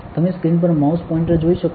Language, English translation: Gujarati, So, you can see the mouse pointer on the screen